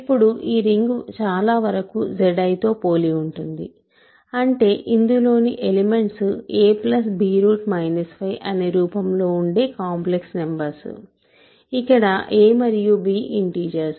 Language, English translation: Telugu, Now, this ring is very similar to Z adjoined i, in the sense that it is all complex numbers which are of the form a plus b times square root minus 5, where a and b are integers